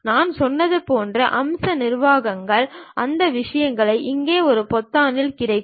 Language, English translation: Tamil, And features managers like I said, those things will be available at the first button here